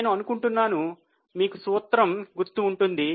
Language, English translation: Telugu, I hope you remember the formula